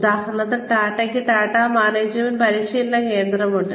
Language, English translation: Malayalam, For example, Tata has, Tata management training center